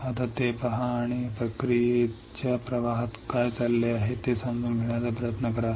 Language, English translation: Marathi, Now, look at it and try to understand what is going on in this process flow